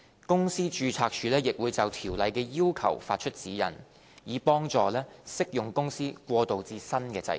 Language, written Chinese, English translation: Cantonese, 公司註冊處亦會就條例的要求發出指引，以助適用公司過渡至新制度。, The Companies Registry will also issue guidelines on the requirements of the ordinance to help applicable companies transition to the new regime